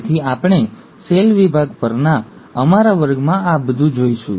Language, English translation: Gujarati, So we’ll look at all this in our class on cell division